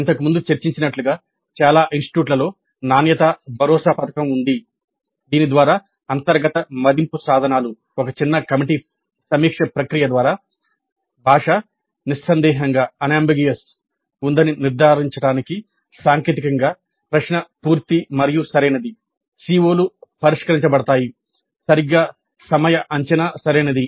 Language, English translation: Telugu, And as we discussed earlier, most of the institutes do have a quality assurance scheme whereby the internal assessment instruments go through a process of review by a small committee to ensure that the language is unambiguous the technically the question is complete and correct